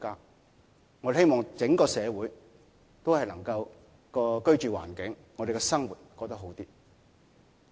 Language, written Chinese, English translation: Cantonese, 我們希望整個社會都能夠在居住環境和生活上過得好一點。, We hope that all people in the community can have better living conditions and lead a better life